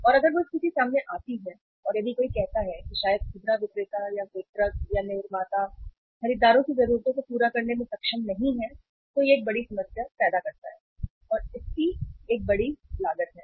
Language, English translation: Hindi, And if that situation comes up and if the any uh say say uh way maybe the retailer or the distributor or the manufacturer is not able to serve the needs of the buyers then it creates a big problem and it has a big cost